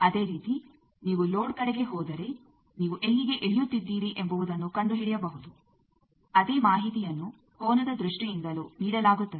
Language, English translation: Kannada, Similarly if you go towards load you can find out where you are landing up also the same information is given in terms of angle